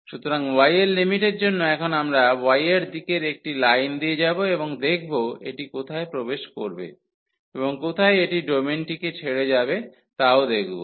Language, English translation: Bengali, So, for the limit of y, now we will go through a line in the y direction and see where it enters and where it leaves the domain